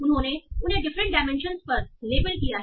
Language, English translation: Hindi, And they have labeled them on various different dimensions